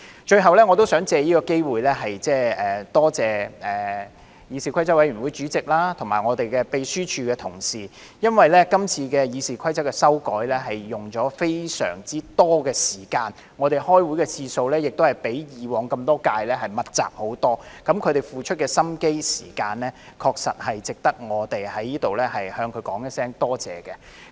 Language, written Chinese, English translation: Cantonese, 最後，我想藉此機會多謝議事規則委員會主席及立法會秘書處的同事，因為今次《議事規則》的修訂花了非常多的時間，我們開會的次數較以往這麼多屆密集很多，他們付出的心機和時間確實值得我們在這裏向他們說聲多謝。, Lastly I would like to take this opportunity to thank the Chairman of CRoP and colleagues of the Legislative Council Secretariat because the amendments to RoP have taken considerable time to make and the number and frequency of meetings have far exceeded those in the previous terms . The efforts and time they have put in deserve our appreciation here